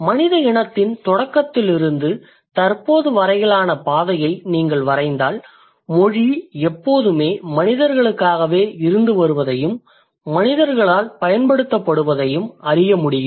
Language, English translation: Tamil, And if you draw the trajectory from the dawn of the human race to the present time, you can actually claim something like that, okay, language has always been there for the humans used by the humans also